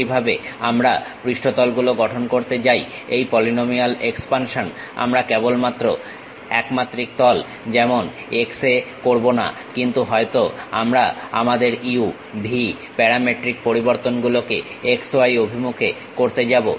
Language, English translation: Bengali, Similarly, if we are going to construct surfaces this polynomial expansion we will not only just does in one dimension like x, but we might be going to do it in x, y directions our u, v parametric variations